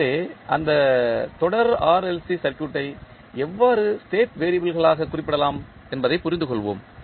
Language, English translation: Tamil, So, let us understand how we can represent that series RLC circuit into state variables